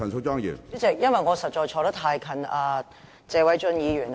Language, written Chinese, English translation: Cantonese, 主席，因為我實在坐得太近謝偉俊議員。, President I am seated too close to Mr Paul TSE